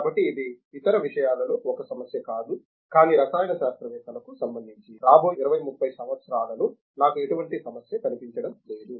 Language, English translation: Telugu, So, that is not a problem in other as a matter, but chemists I do not see any problem in the next 20 30 years